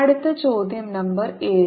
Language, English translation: Malayalam, next question, number seven